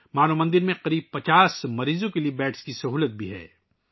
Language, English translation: Urdu, Manav Mandir also has the facility of beds for about 50 patients